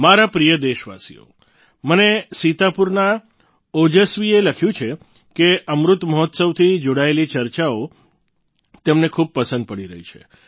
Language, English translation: Gujarati, Ojaswi from Sitapur has written to me that he enjoys discussions touching upon the Amrit Mahotsav, a lot